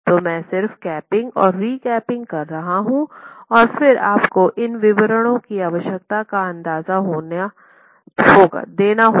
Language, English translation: Hindi, So I'm just capping and recapping and then giving you an idea of what these detailing requirements would be